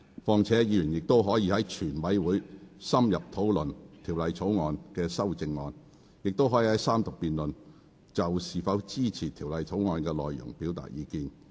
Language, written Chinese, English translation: Cantonese, 況且，議員仍可在全體委員會審議期間深入討論《條例草案》的修正案，亦可在三讀辯論中，就是否支持《條例草案》的內容表達意見。, Besides Members may still have an in - depth discussion on the amendments to the Bill during the examination by the committee of the whole Council and express their views on whether or not they support the content of the Bill during the Third Reading debate